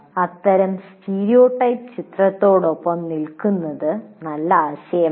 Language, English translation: Malayalam, It is not a good idea to stay with that kind of stereotype image